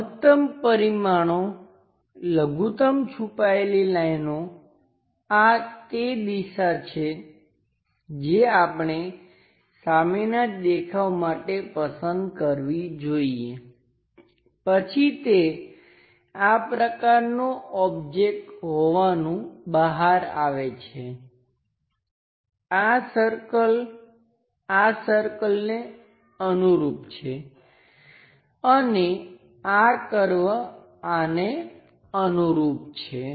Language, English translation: Gujarati, Maximum dimensions minimum hidden lines this is the direction we we should choose for front view, then this entire thing turns out to be such kind of object, this circle corresponds to this circle and this curve corresponds to this one